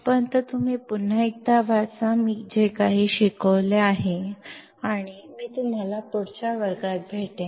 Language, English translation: Marathi, Till then you just read once again, whatever I have taught and I will see you in the next class